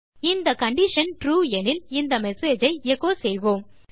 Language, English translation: Tamil, If this condition is true, we will echo this message